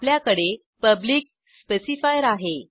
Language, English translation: Marathi, Then we have public specifier